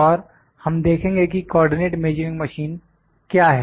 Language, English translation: Hindi, And, we will see, what is Co ordinate Measuring Machine